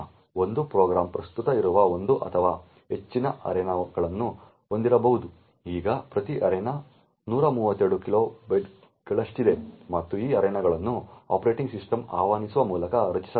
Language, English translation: Kannada, One program could have one or more arenas which are present, now each arena is of 132 kilobytes and these arenas are created by invocations to the operating system